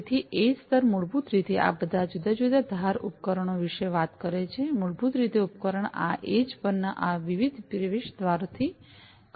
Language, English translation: Gujarati, So, edge layer basically talks about all these different edge devices, basically the device is connecting to these different gateways at the edge and so on